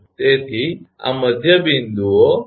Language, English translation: Gujarati, So, this is the midpoints